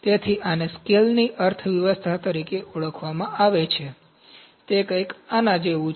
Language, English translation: Gujarati, So, this is known as economies of scale, it is something like this ok